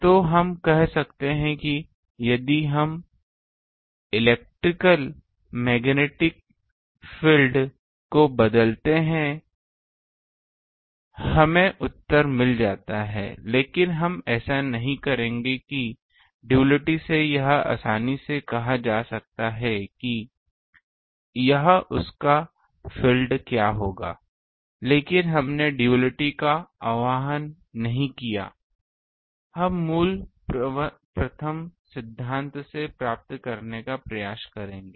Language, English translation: Hindi, So, we can say that if we change the electrical magnetic field; we get the answer, but we will not do that ah from duality it can be easily said what it will be its field, but we own think of duality we will try to derive the from the basic first principle